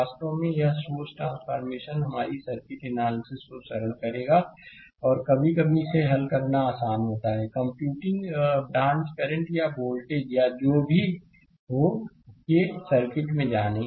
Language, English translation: Hindi, Actually this source transformation will your, simplify the circuit analysis; and sometimes it is easy to solve the, you know circuit of computing branch current or voltage or whatsoever